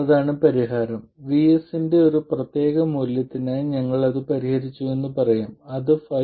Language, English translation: Malayalam, Let's say we have solved it for a particular value of VS which is 5